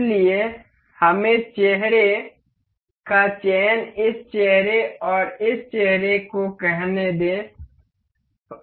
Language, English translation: Hindi, So, for we will have to select the face say this face and this face